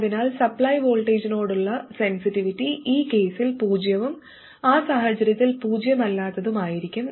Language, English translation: Malayalam, So the sensitivity to supply voltage will be zero in this case and non zero in that case